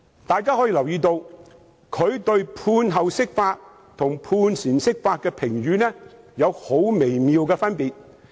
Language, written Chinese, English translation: Cantonese, 大家留意，他對判後釋法和判前釋法的評語有很微妙的分別。, We should note the subtle difference of Andrew LIs comments on interpretation of the Basic Law after a judgment is made and interpretation ahead of a judgment